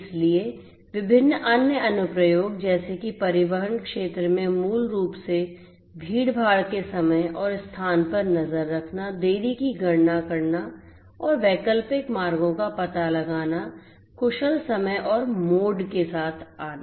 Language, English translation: Hindi, So, different other applications such as in the transportation you know transportation sector basically tracking the time and place of congestion, computing the delay and finding out alternate routes, commuting with efficient time and mode